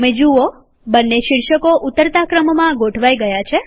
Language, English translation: Gujarati, You see that both the headings get sorted in the descending order